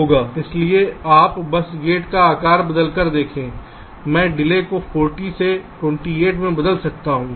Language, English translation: Hindi, so you see, just by changing the size of the gate, i can change the delay from forty to twenty eight